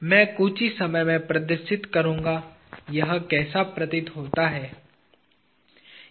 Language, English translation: Hindi, I will demonstrate in a moment how this appears